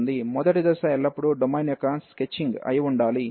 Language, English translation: Telugu, So, the first step always it should be the sketching the domain